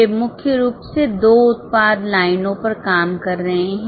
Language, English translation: Hindi, They are primarily operating in two product lines